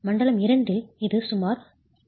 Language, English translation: Tamil, In zone 2 it's about 0